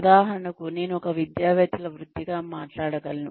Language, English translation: Telugu, For example, I can talk about, academics as a profession